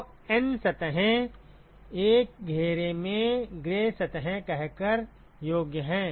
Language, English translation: Hindi, So, N surfaces, qualified by saying gray surfaces in an enclosure ok